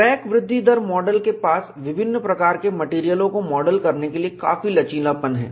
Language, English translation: Hindi, So, the crack growth rate model has considerable flexibility to model a wide variety of materials